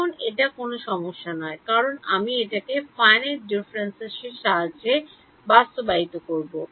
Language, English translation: Bengali, Now this is not a problem because I am implementing this by finite differences